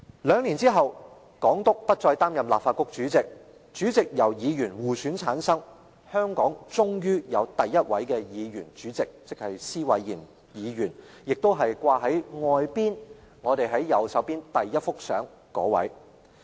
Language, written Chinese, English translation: Cantonese, 兩年後，港督不再擔任立法局主席，主席由議員互選產生，香港終於有第一位議員主席——施偉賢議員，亦即掛在會議廳外的右方牆上的第一幅相中人。, Two years later the Governor handed over the Presidency of the Legislative Council to a Member elected from among the Members and Mr John SWAINE eventually became the first elected President . The first picture hanged on the right hand side of the wall outside the Chamber is his portrait